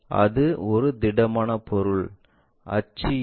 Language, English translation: Tamil, It is a solid object, axis is that